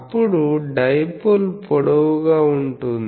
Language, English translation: Telugu, Then the dipole is long